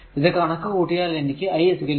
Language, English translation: Malayalam, So, after computing this we will get i is equal to 1